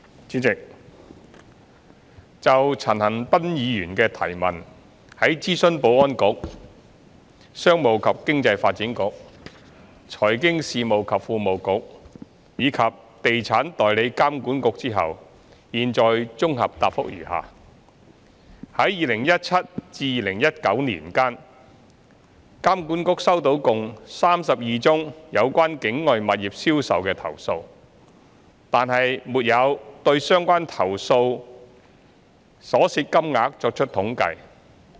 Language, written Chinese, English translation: Cantonese, 主席，就陳恒鑌議員的質詢，在諮詢保安局、商務及經濟發展局、財經事務及庫務局，以及地產代理監管局後，現綜合答覆如下：一在2017年至2019年間，監管局收到共32宗有關境外物業銷售的投訴，但沒有對相關投訴所涉金額作出統計。, President having consulted the Security Bureau the Commerce and Economic Development Bureau the Financial Services and the Treasury Bureau and the Estate Agents Authority EAA I set out my consolidated reply to the question raised by Mr CHAN Han - pan as follows 1 From 2017 to 2019 EAA received 32 complaints that related to sale and purchase of properties situated outside Hong Kong . However EAA does not have statistics on the amount of money involved in these cases